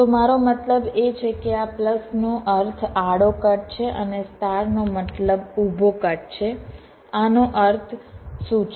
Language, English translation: Gujarati, so what i mean is that this plus means a horizontal cut and the star means a vertical cut